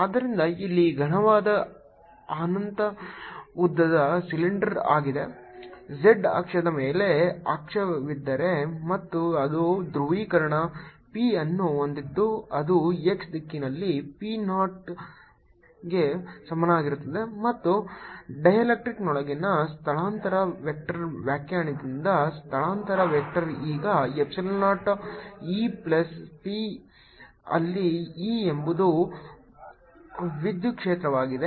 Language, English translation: Kannada, so here's a solid, infinitely long cylinder on if there is axis on the z axis and it carries a polarization p which is equal to p naught in the x direction and the displacement vector inside the dielectric is, by definition, the displacement vector is epsilon zero, e plus p, where e is the electric field